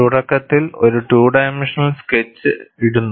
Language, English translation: Malayalam, Initially a two dimensional sketch is put